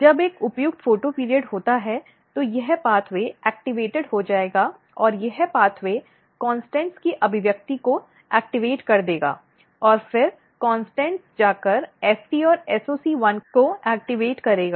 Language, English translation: Hindi, So, basically when there is a suitable photoperiod when there is a time when there is a correct photoperiod then, this pathway will be activated and this pathway will activate expression of CONSTANTS and then CONSTANTS will go and activate FT and SOC1